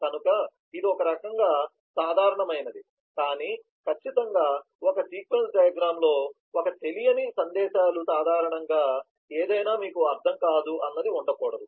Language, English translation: Telugu, so that is the kind of a default, but certainly in a sequence diagram, unknown messages usually would not mean anything and you should not have them